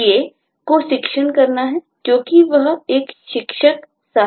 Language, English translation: Hindi, the ta has to teach because she is a teaching assistant